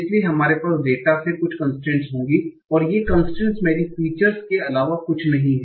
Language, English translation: Hindi, So we will have certain constraints from the data and these constraints are nothing but my features